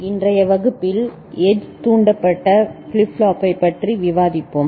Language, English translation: Tamil, Hello everybody, in today’s class we shall discuss Edge Triggered Flip Flop